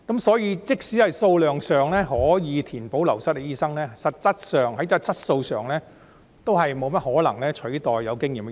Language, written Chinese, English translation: Cantonese, 所以，即使數量上可以填補流失的醫生，但實際上，在質素上也不大可能取代到有經驗的醫生。, Therefore even if they can fill the vacancies of departed doctors in terms of quantity they are in practice unlikely to replace experienced doctors in terms of quality